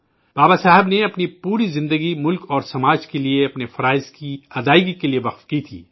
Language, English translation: Urdu, Baba Saheb had devoted his entire life in rendering his duties for the country and society